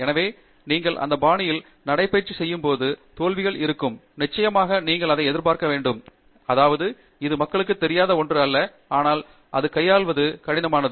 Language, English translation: Tamil, So, when you are walking in that fashion there will be failure, and of course, you should expect that; I mean, this is not something unknown to people but dealing with that becomes hard